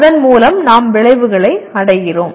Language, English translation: Tamil, Through that we are attaining the outcomes